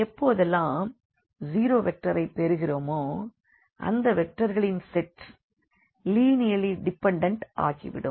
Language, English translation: Tamil, So, whenever we have a zero vector included in the set of these vectors then these vectors are going to be linearly dependent